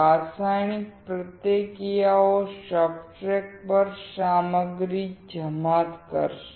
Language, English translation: Gujarati, The chemical reactions will deposit the materials on the substrate